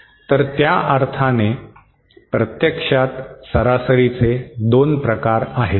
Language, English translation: Marathi, So in that sense, there are 2 types of average actually